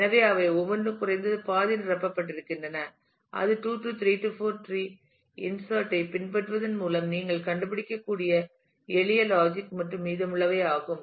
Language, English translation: Tamil, So, that each one of the them become at least half filled and that is the simple logic and rest of it you can figured out by following on the 2 3 4 tree insertion